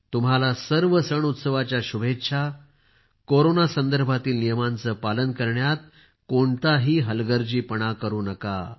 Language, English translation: Marathi, Best wishes in advance to all of you for the festivals; there should not be any laxity in the rules regarding Corona as well